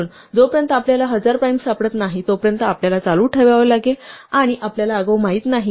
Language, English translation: Marathi, So, we have to keep going until we find thousand primes and we do not know in advance